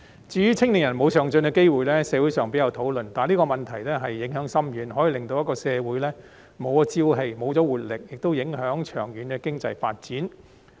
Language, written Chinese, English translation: Cantonese, 至於青年人沒有上進機會的問題，社會上比較少討論，但這個問題影響深遠，可以令社會沒有朝氣、沒有活力，亦影響長遠經濟發展。, As for the lack of upward mobility opportunities for young people it has seldom been discussed in society but its far - reaching implications can deprive society of vigour and dynamism and also affect the long - term economic development